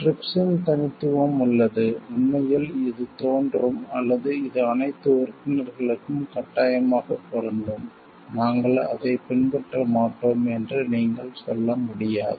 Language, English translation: Tamil, The uniqueness of the TRIPS lies, in the fact, this appears or it applies to all the members mandatory, you cannot like just say we will not be following it